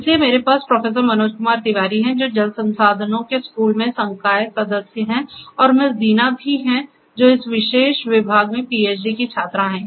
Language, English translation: Hindi, So, I have with me Professor Manoj Kumar Tiwari, who is a faculty member in the school of water resources and also Miss Deena, who is a PhD student in this particular department